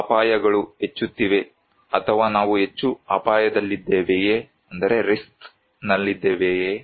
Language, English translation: Kannada, The dangers are increasing, or we are at more risk